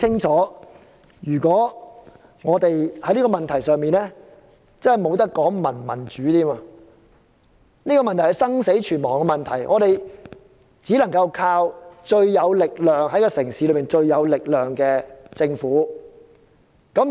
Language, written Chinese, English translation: Cantonese, 在這個問題上，不可以再談民主，這是生死存亡的問題，只能依靠城市中最有力量的政府。, In respect of this issue we cannot take a democratic approach . It is a matter of life and death and it can only be implemented by the most powerful organization in town ie . the Government